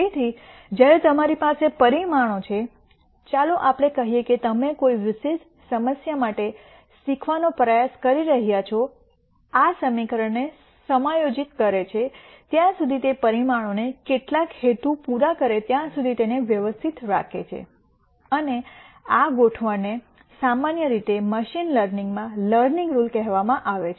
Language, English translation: Gujarati, So, when you have parameters let us say that you are trying to learn for a particular problem this keeps adjusting this equation keeps adjusting the parameters till it serves some purpose and this adjustment is usually called the learning rule in machine learning